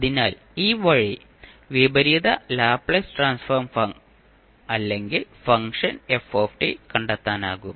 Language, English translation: Malayalam, So, with this way, you can find out the inverse Laplace transform or function ft